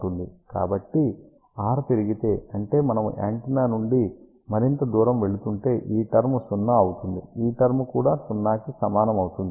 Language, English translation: Telugu, So, if r increases; that means, as we are going further away from the antenna, so this term will become 0, this term will also be equal to 0